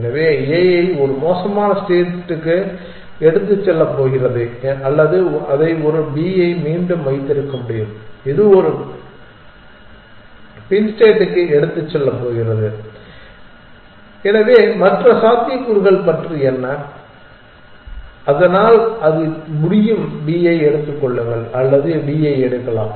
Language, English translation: Tamil, So, A could have put on d it is going to take it to a bad state or it could have put it back one B this also in which going to take it to a back state, so what about the other possibilities, so it can either pick up B or it can pick up D